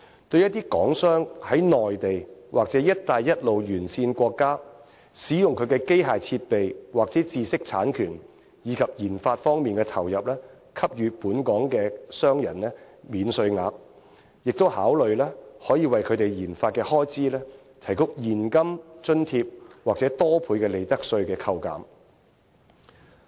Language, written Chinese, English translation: Cantonese, 對一些港商在內地或"一帶一路"沿線國家，使用機器設備和知識產權及研發方面的投入給予本港商人免稅額，亦可考慮為他們的研發開支提供現金津貼或多倍的利得稅扣減。, With regard to certain Hong Kong enterprises operating in the Mainland or the Belt and Road countries the Government can also consider offering tax allowances for the machinery and plants used as well as inputs devoted to intellectual property and research and development . Moreover it can also consider offering cash subsidies or providing extra tax concessions for two or more times on research and development expenses